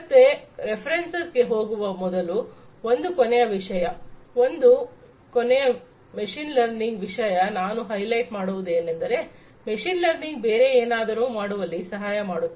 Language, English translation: Kannada, So, one last thing before we get into the references, one last thing that I would like to highlight about machine learning is that machine learning can help do something else as well